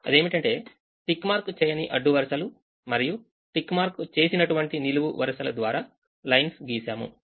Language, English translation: Telugu, so draw a lines through unticked rows and ticked columns